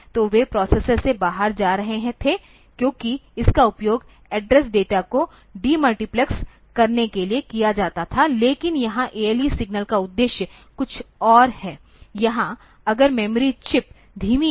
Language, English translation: Hindi, So, they were going out from the processor, because that was used for demultiplexing the address data, but here the purpose of ALE signal is just something else, here the if the memory chip is slow